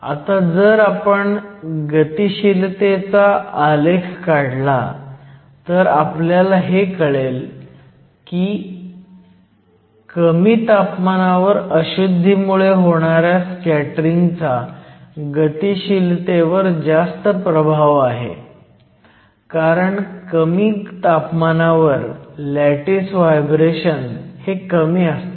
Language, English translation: Marathi, If we then plot the log of the mobility, we find that at low temperature mobilities are dominated by scattering due to the impurities, because at low temperature your lattice vibrations are very small